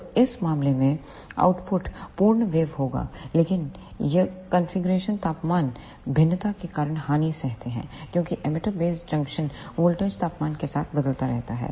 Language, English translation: Hindi, So, in this case the output will be a complete waveform, but this configurations surfers with the temperature variation because the emitter base junction voltage varies with temperature